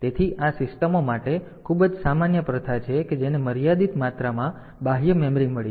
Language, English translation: Gujarati, So, this is a very common practice for systems that have got limited amount of external memory